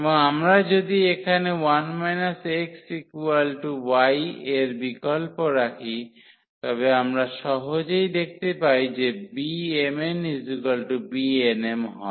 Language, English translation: Bengali, And, if we substitute here for 1 minus x is equal to y then we can easily see that the B m, n is equal to B n, m